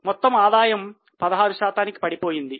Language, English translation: Telugu, So, total revenue again has a 16% fall